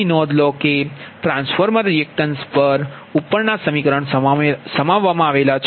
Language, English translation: Gujarati, so note that transformer reactance is also included in the above equation, right